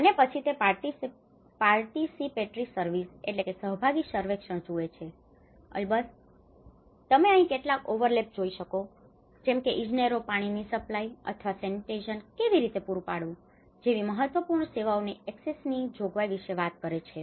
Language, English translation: Gujarati, And then you know they look at the participatory surveys, of course you can see some overlap here, and the engineers talk about the access and the provision of key vital services, how the water supply or sanitation has to be provided